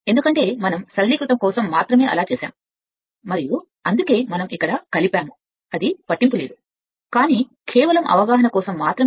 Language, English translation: Telugu, Because we have just for the simplification we have made it like this and that is why we have connected here it does not matter, but just for the sake of understanding